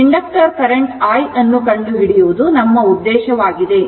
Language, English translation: Kannada, So, our objective is to find the inductor current i, this is the inductor current i, right